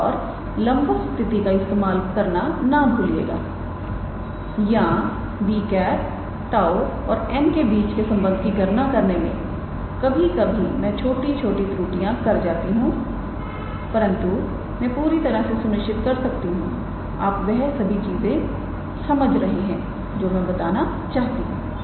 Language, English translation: Hindi, And do not forget to use the perpendicularity condition or the relation between b tau and n in half an hour I am sometimes how to say making a small errors in the calculation, but I am pretty sure you are getting what I am trying to say